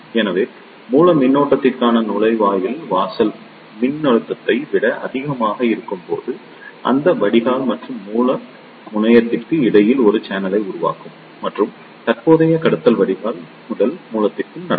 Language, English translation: Tamil, So, when the gate to source voltage is greater than the threshold voltage, it will form a channel between the drain and the source terminal and the current conduction will take place from drain to source